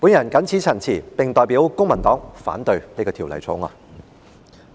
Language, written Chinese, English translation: Cantonese, 我謹此陳辭，並代表公民黨反對《條例草案》。, With these remarks I oppose the Bill on behalf of the Civic Party